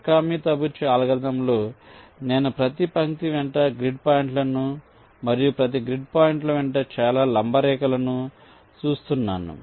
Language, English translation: Telugu, in the mikami tabuchi algorithm, along the lines, i am looking at every grid points and i am running so many perpendicular lines along each of the grid points